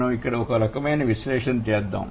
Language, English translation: Telugu, Let's have a, let's do a kind of analysis here